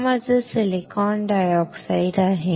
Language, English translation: Marathi, This is my silicon dioxide